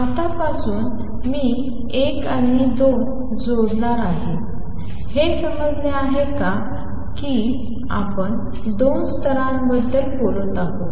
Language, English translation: Marathi, From now on I am going to drop 1 and 2; it is understood that we are talking about two levels